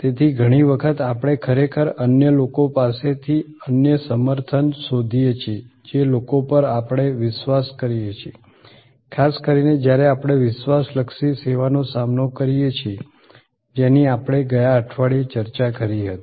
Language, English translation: Gujarati, So, many times we actually look for other support from other people, people we trust particularly when we face a credence oriented service which we discussed in last week